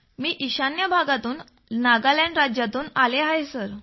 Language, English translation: Marathi, I belong to the North Eastern Region, Nagaland State sir